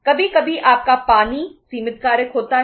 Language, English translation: Hindi, Sometimes your water is the limiting factor